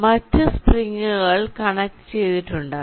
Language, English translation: Malayalam, there can be other springs also connected